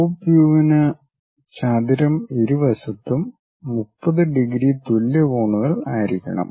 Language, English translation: Malayalam, For the top view the rectangle has to make 30 degrees equal angles on both sides